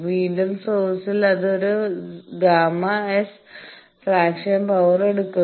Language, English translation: Malayalam, Then again at source it is taking one gamma S fractional power